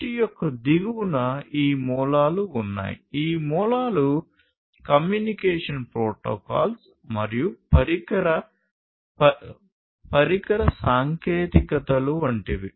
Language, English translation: Telugu, At the very bottom of the tree are these roots; these roots are like communication protocols and device technologies communication device technologies